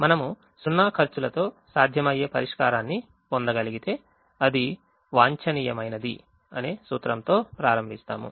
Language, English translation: Telugu, we start with the principle that if we are able to get a feasible solution with zero cost, then it is optimum